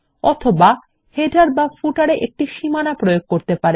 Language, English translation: Bengali, Or apply a border to the header or footer